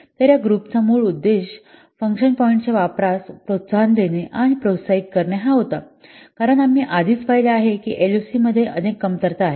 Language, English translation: Marathi, So the basic purpose of this group was to promote and encourage use of function points because we have already seen LOC has several drawbacks